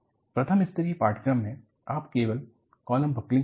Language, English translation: Hindi, In the first level course, you simply do column buckling